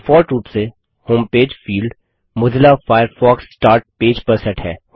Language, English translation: Hindi, By default, the Home page field is set to Mozilla Firefox Start Page